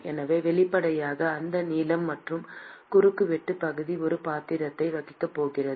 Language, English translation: Tamil, So obviously, you would intuit that length and the cross sectional area is going to play a role